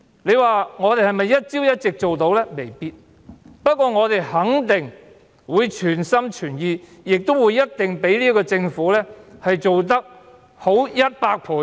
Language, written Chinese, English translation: Cantonese, 雖然我們未必能一朝一夕做到，但我們肯定會全心全意，相比這個政府做得好百倍。, Although we may not achieve all these overnight we definitely will work wholeheartedly and will achieve results which are 100 times better than those of the current Administration